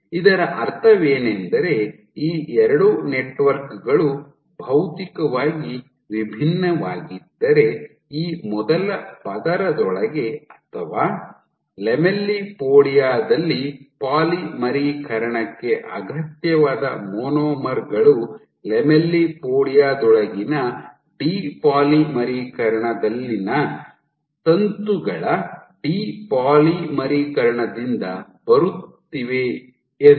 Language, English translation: Kannada, So, what this means if these two networks are materially distinct which means that within this first layer or the lamellipodia the monomers required for polymerization are coming from the depolymerization of the filaments in that depolymerization zone within the lamellipodia